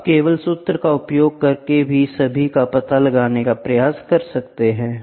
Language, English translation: Hindi, You can try to find out all by just substituting the formula